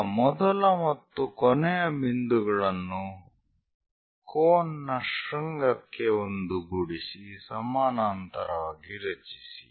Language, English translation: Kannada, Now join the first last point with the peak or apex of that cone, parallel to that construct